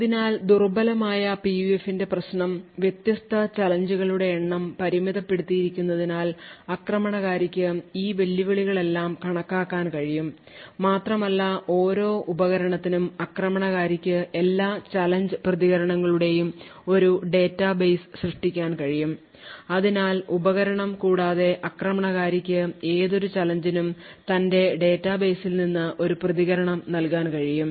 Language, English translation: Malayalam, So the problem with the weak PUF is that because the number of different challenges are limited, the attacker may be able to enumerate all of these challenges and for each device the attacker could be able to create a database of all challenge response pairs and therefore without even having the device the attacker would be able to provide a response from his database for any given challenge therefore, weak PUFs have limited applications